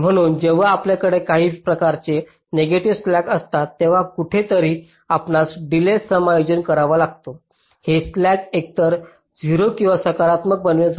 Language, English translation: Marathi, so whenever you have some kind of negative slacks somewhere, you have to adjust the delays somehow to make this slack either zero or positive